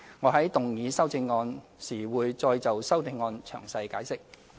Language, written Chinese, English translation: Cantonese, 我在動議修正案時會再就修正案詳細解釋。, I will explain the amendment in detail at moving it